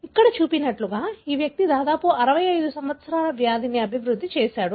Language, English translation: Telugu, As shown here, this individual developed the disease that around 65 years